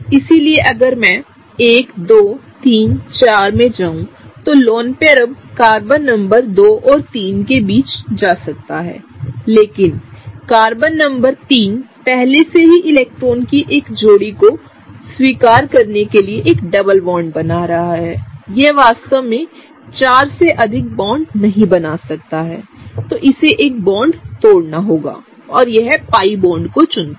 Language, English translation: Hindi, So if I go 1, 2, 3, 4 the lone pair can now go between Carbon numbers 2 and 3, but again Carbon number 3 is forming, already forming a double bond in order to accept a pair of electrons, it cannot really form more than 4 bonds, so it has to break one of the bonds and the bond it chooses to break is the pi bond